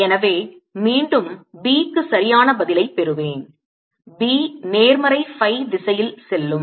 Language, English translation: Tamil, right, assuming here the b is in the negative phi direction